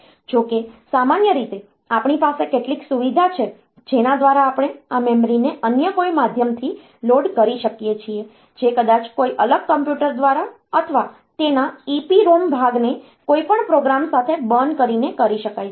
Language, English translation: Gujarati, Though normally, we have got some facility by which we can load this memory by some other means maybe by some separate computer or by burning the EPROM part of it with the program whatever